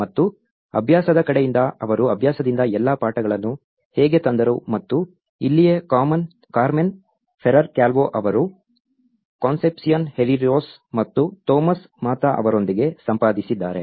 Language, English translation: Kannada, And, it is from the practice side of it how they brought all the lessons from practice and this is where its been edited by Carmen Ferrer Calvo with Concepcion Herreros and Tomas Mata